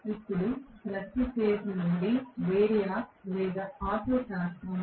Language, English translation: Telugu, Now, from each of the phases through the variac this is the auto transformer